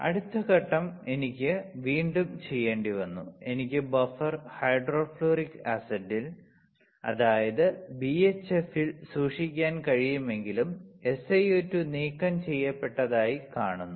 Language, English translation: Malayalam, Next step is I had to again; though I can again keep this wafer in the BHF in the buffer hydrofluoric acid and I will see that the SiO2 is removed